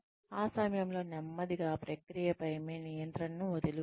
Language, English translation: Telugu, At that point, slowly give up your control, over the process